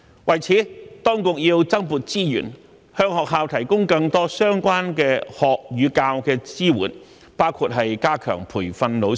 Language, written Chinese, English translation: Cantonese, 為此，當局要增撥資源，向學校提供更多相關學與教的支援，包括加強培訓老師。, To this end the authorities should allocate additional resources to schools for the provision of more support for learning and teaching including strengthening the training for teachers